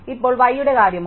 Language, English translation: Malayalam, Now, what about y